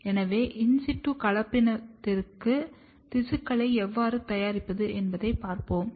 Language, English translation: Tamil, So, I will show you how we prepare the sections or the tissue for in situ hybridization